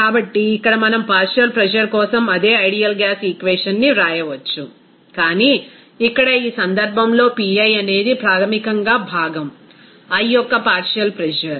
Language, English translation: Telugu, So, here we can write the same ideal gas equation for the partial pressure, but here, in this case, Pi is basically that partial pressure of component i